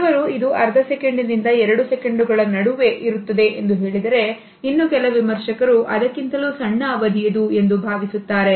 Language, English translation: Kannada, For example, some say that it is between half a second to 2 seconds whereas, some critics think that it is even shorter than this